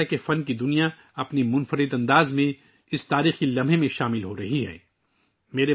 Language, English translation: Urdu, It seems that the art world is becoming a participant in this historic moment in its own unique style